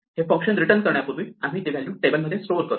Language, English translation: Marathi, So, before we return this value back as a result of this function, we store it in the table